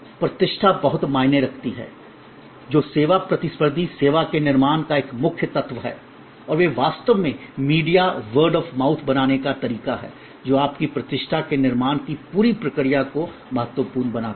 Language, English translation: Hindi, There reputation matters a lot that is a core element of building the service competitive service and they are actually the way to build reputation media word of mouth very impotent the whole process of building your reputations